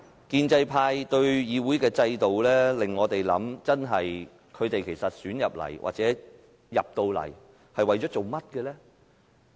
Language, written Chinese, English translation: Cantonese, 建制派提出對議會制度的修訂，真的會令我們思考，其實他們進入議會是為了甚麼呢？, The amendments proposed by the pro - establishment camp do make us ponder what is their purpose of seeking election to the Council?